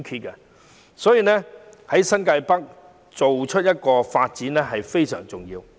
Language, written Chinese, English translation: Cantonese, 因此，新界北的發展非常重要。, Thus the development of New Territories North is very important